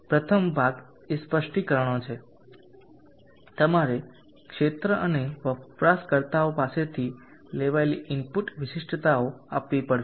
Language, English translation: Gujarati, The first part is specifications, you have to give the input specifications taken from the field and the users